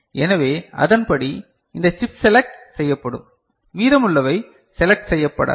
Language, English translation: Tamil, So, according this chip will be selected; rest are not selected, ok